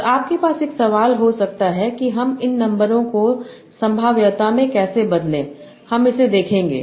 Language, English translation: Hindi, And you might have a question that how do I convert these numbers to probability